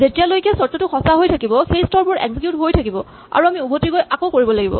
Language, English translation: Assamese, So, so long as the condition is true these steps will be executed and then you go back and do it again